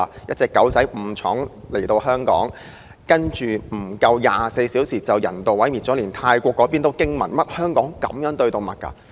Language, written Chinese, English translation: Cantonese, 那隻誤闖香港的小狗，竟在不足24小時間被人道毀滅，連泰國也驚訝於香港竟然如此對待動物。, Having mistakenly entered Hong Kong that dog was euthanized in less than 24 hours and people in Thailand were astonished by the fact that the Hong Kong authorities would go so far as to treat animals in this way